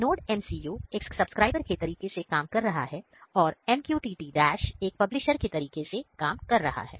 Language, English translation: Hindi, So, here NodeMCU is working as a subscriber and MQTT Dash is working as a publisher